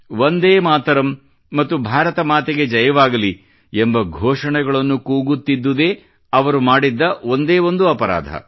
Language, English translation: Kannada, Their only crime was that they were raising the slogan of 'Vande Matram' and 'Bharat Mata Ki Jai'